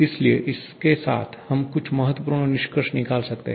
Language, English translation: Hindi, So, with this we can have a few important conclusions